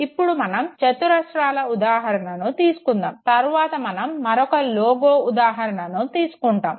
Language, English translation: Telugu, Let us take the example of these squares and then we will also move to an example taking again a logo into account